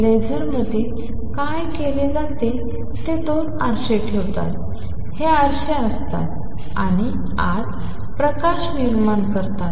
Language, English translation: Marathi, What one does in a laser is puts two mirrors, these are mirrors and generates a light inside